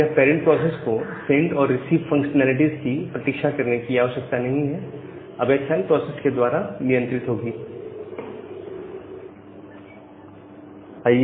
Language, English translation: Hindi, So, the parent process now do not need to wait for this send and receive functionalities, which will be handled by a child process